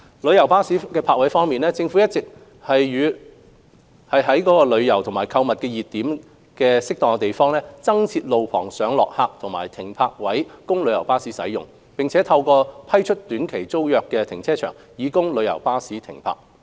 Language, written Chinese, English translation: Cantonese, 旅遊巴士泊位方面，政府一直在旅遊及購物熱點等合適地點，增設路旁上落客點和停泊位供旅遊巴士使用，並透過批出短期租約停車場，供旅遊巴士停泊。, On coach parking the Government has been providing additional pick - updrop - off spaces and parking spaces for coaches at appropriate locations including tourist and shopping hotspots and letting car parks for coach parking on short - term tenancies